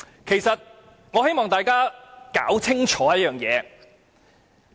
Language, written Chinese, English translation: Cantonese, 其實，我希望大家弄清楚一件事。, Actually I hope Members will appreciate one point